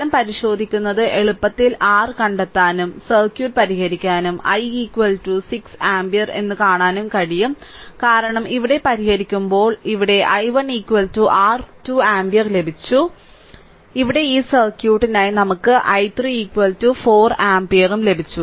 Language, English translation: Malayalam, So, checking the result you can easily find out your this thing what you call, you solve the circuit right and see that i here you will get i is equal to 6 ampere, because when solving here while solving here look here we got i 1 is equal to your 2 ampere right and while solving here, here we got for this circuit we got i 3 is equal to 4 ampere right